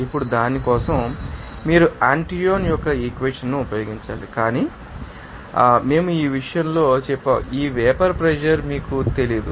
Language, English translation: Telugu, Now for that, you have to use that Antoine’s equation but at his temper we said this, you know that vapor pressure to be calculated that is not known to you